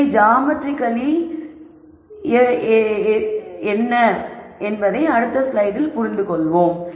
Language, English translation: Tamil, We will understand what this is geometrically in the next slide